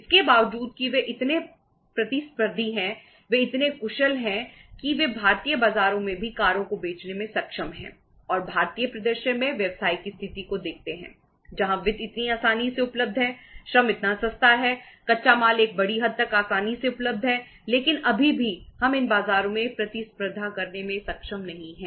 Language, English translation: Hindi, Despite that they are so competitive, they are so efficient that they are able to say sell the cars in the Indian market also and in the Indian scenario look at the business situation where finance is so easily available, labour is so cheap, raw material to a larger extent is easily available but still we are not able to compete in these markets